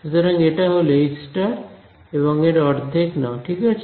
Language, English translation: Bengali, So, this is conjugate H and take half of it right